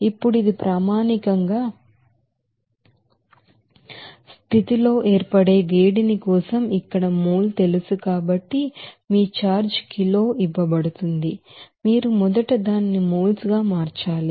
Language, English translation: Telugu, Now since it is given in terms of you know mole here in this case for heats of formation at standard condition, but your charge is given in kg so you have to convert it to moles first